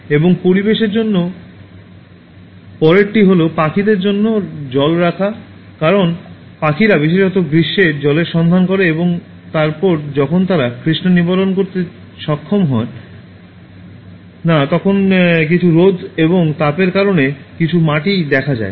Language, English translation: Bengali, And the next one for environment is keep water for birds, because birds look for water particularly in summer and then when they are not able to quench the thirst some birds even die, because of the scorching Sun and heat